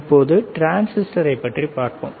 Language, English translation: Tamil, Now, let us see the another one which is the transistor